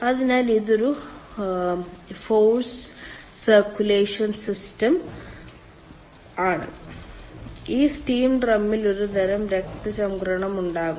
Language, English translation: Malayalam, so this is a force circulation system and in this steam drum there will be some sort of a circulation